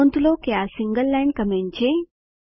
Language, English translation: Gujarati, Please note this is a single line comment